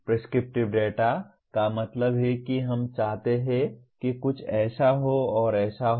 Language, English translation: Hindi, Prescriptive data means we want something to be such and such